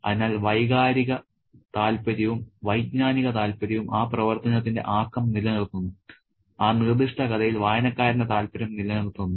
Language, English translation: Malayalam, So, the emotional interest and the cognitive interest kind of keep the ball rolling, keep the reader interested in a particular story